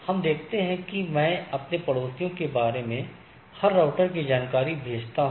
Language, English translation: Hindi, So, what it says that I send information about my neighbors to every router